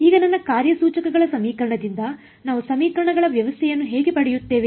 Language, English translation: Kannada, Now, how do we get a system of equations from my operator equation